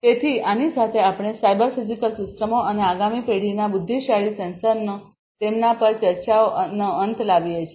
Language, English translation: Gujarati, So, with this we come to an end of cyber physical systems and next generation intelligent sensors, discussions on them